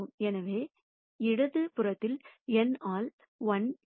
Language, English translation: Tamil, So, I have on the left hand side n by 1